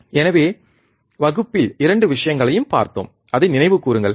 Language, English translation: Tamil, So, we have seen both the things in the class so, just recall it